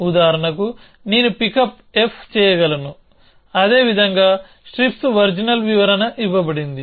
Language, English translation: Telugu, I can pickup f for example, that is the way that strips original description is given